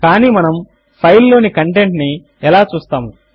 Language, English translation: Telugu, But how do we see the content of this file